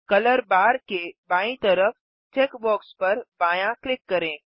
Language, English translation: Hindi, Left click the checkbox to the left of the color bar